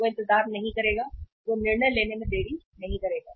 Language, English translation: Hindi, He will not wait, he will not delay the decision